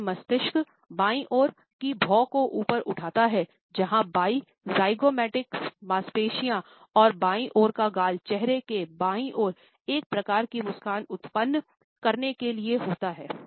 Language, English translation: Hindi, The right brain rises the left side eyebrow, where left zygomaticus muscles and the left cheek to produce one type of smile on the left side of a face